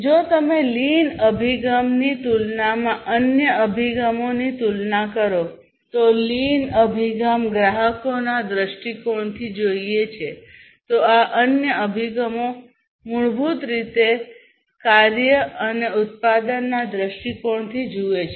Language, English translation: Gujarati, So, if you look at the comparison of lean approach versus other approaches, lean approach is basically look from the customers’ perspective, whereas other approaches basically look from the task and production perspective